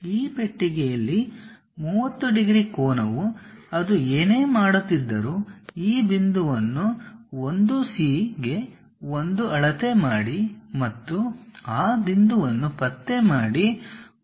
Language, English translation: Kannada, On this box, the 30 degrees angle whatever it is making, measure this point 1 C to 1 and locate that point 1